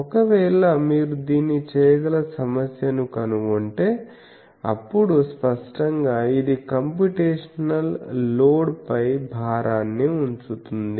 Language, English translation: Telugu, So, if you find problem that you can do that, but; obviously, it puts the burden on the computational load